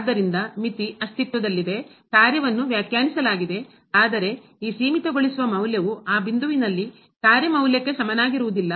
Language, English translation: Kannada, So, the limit exists the function is defined, but this limiting value is not equal to the functional value at that point